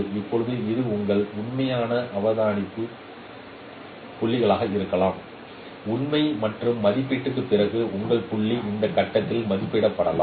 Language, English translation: Tamil, Now this may be your true observation points, true and after computation your point may be estimated at this point